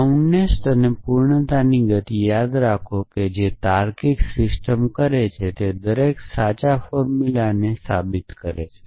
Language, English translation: Gujarati, Remember the motions of soundness and completeness that does a logical system prove every true formula essentially